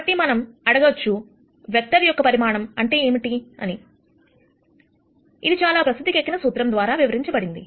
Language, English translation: Telugu, So, we might ask what is the magnitude of this vector and that is given by the wellknown formula that we see right here